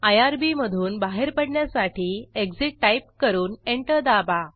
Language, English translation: Marathi, To exit from irb type exit and press Enter